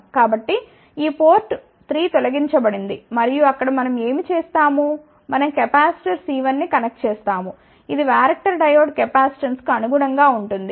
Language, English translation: Telugu, So, this port 3 is deleted and there what we so, we connect a capacitor C 1, which corresponds to the varactor diode capacitance